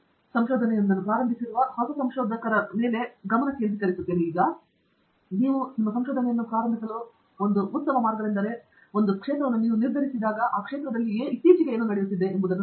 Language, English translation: Kannada, So, I think again we have been focusing on a new researcher who is beginning to do research, and one very good way to start your research, of course, is to go out and once you fix the area and area is decided, go out and see what is latest happening in that area